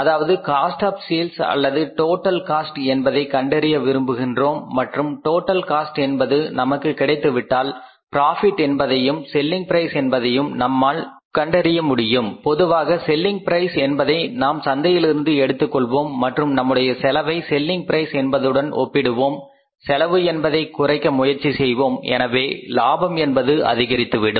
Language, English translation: Tamil, So, this we want to find out this we want to find out the cost of sale or the total cost and once the total cost is available with us then we can determine the say profit margin as well as the selling price normally selling price we take from the market and we match our cost with the selling price, try to minimize the cost so that the profit is maximized